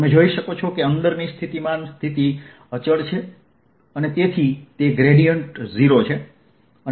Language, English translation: Gujarati, you can see potential inside is constant and therefore is gradient is going to be zero